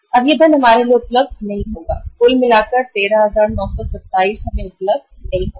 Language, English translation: Hindi, Now, this money will not be available to us, 13,927 in total will not be available to us